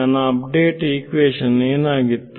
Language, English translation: Kannada, What was my update equation